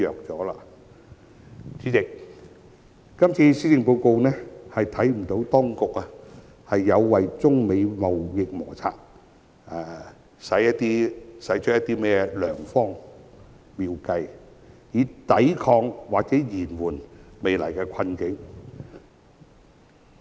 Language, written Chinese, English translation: Cantonese, 主席，我們不能從這份施政報告看到當局為中美貿易摩擦制訂了甚麼良方妙計，以抵抗或延緩未來的困境。, President we cannot see in this Policy Address what effective measures the authorities have worked out in the context of the United States - China trade conflict to counter or mitigate our imminent predicament